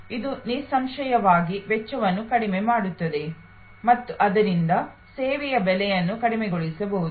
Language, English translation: Kannada, It obviously, also in reduces cost and therefore, may be the service price will be reduced